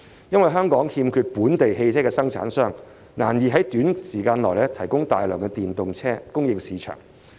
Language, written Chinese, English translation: Cantonese, 由於香港欠缺本地汽車生產商，難以在短時間提供大量電動車供應市場。, The lack of local vehicle manufacturers in Hong Kong makes it difficult to supply a large number of EVs to the market in a short period of time